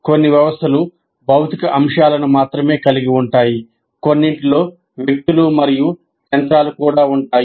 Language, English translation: Telugu, Some systems consist only of physical elements, while some will have persons and machines also